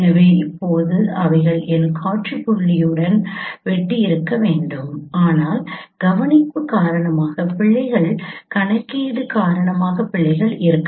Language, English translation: Tamil, So now the ideally they should have intersected to my sin point but there would be errors due to observation, errors due to computation